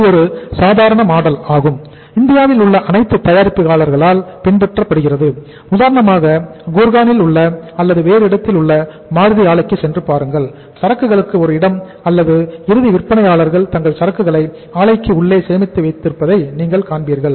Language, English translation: Tamil, For example you visit the Maruti Plant maybe in Gurgaon or any other place you will find that the inventory place or say end sellers are storing their inventory within the plant only